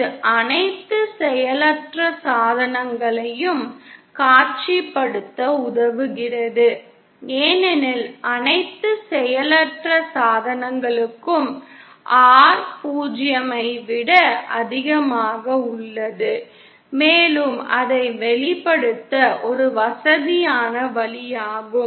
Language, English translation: Tamil, This helps us to visualise all passive devices because for all passive devices, R is greater than 0 and that is a convenient way of expressing it